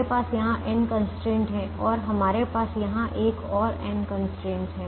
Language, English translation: Hindi, we have n constraints here and we have another n constraints here